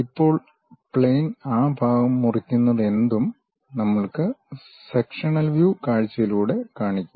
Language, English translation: Malayalam, Now, the plane whatever it cuts that part only we will show it by cut sectional view